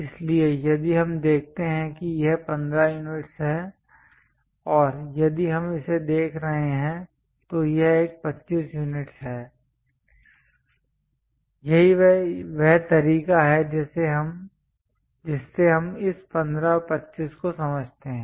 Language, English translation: Hindi, So, if we are seeing this one is 15 units and if we are looking at that, this one is 25 units this is the way we understand this 15 and 25